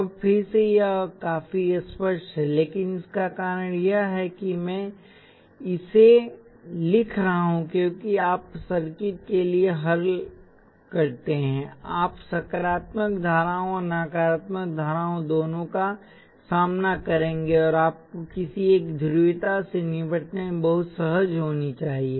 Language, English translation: Hindi, Now again this is quite obvious, but the reason I am writing this is as you solve for circuits, you will encounter both positive currents and negative currents, and you should become very comfortable dealing with either one of the polarities